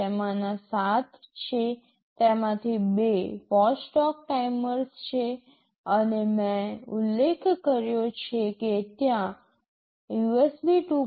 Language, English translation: Gujarati, There are 7 of them, two of them are watchdog timers, and I mentioned there is a USB 2